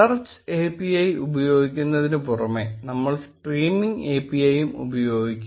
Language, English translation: Malayalam, Apart from using search API, we will also be using the streaming API